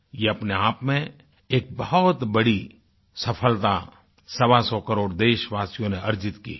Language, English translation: Hindi, This is a huge success in itself which 125 crore Indians have earned for themselves